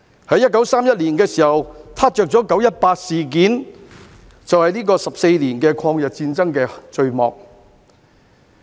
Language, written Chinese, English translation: Cantonese, 在1931年，"撻着""九一八"事件，這便是14年抗日戰爭的序幕。, In 1931 the 18 September incident was sparked off marking the prelude to the 14 - year War of Resistance against Japanese aggression